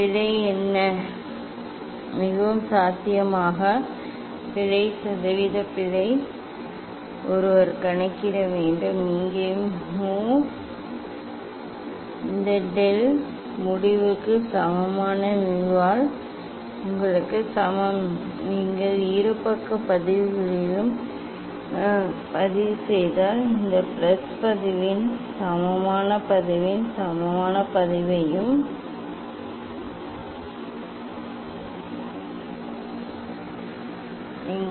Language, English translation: Tamil, what is the error, most probable error percentage error one should calculate, here mu equal to this del mu by mu equal to you know this if you take log in both side log mu equal to log of this plus log of this